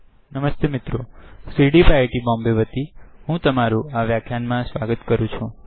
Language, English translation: Gujarati, On behalf of CDEEP, IIT Bombay, I welcome you to this Tutorial